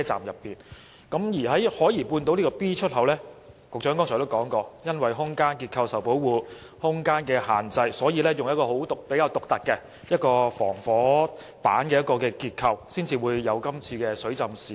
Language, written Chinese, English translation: Cantonese, 局長剛才也提到，海怡半島站 B 出口因空間結構受保護，以及空間受到局限，於是採用比較獨特的防火板結構，因此才會導致這次水浸事故。, He has also mentioned just now that as EntranceExit B is protected by the structure of the existing underground void and restricted by the space of that void fire resistance boards are specifically used in its design thus resulting in such a flooding incident